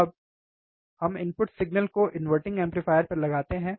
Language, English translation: Hindi, So, please give signal to the inverting amplifier